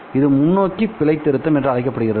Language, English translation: Tamil, This is called as forward error correction